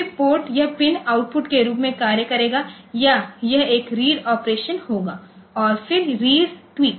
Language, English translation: Hindi, Then the port, it is pin will act as output or it will be a read operation and then read tweak